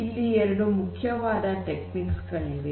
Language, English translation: Kannada, So, these are the two main techniques